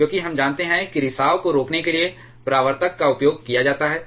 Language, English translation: Hindi, Because we know that reflectors are used to prevent the leakage